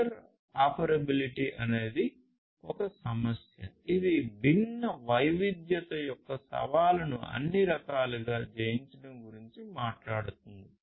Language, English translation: Telugu, So, interoperability is this issue which talks about conquering this challenge of heterogeneity in all different respects